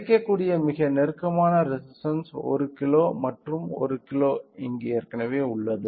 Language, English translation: Tamil, 08 the closest resister which is available is 1 kilo and that 1 kilo is already there here